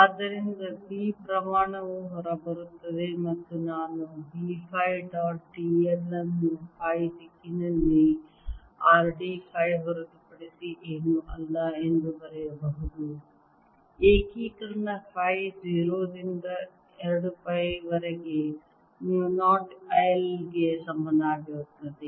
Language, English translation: Kannada, alright, we can write it as b, as b phi dot d l is nothing but r d phi in the phi direction, integration phi from zero to two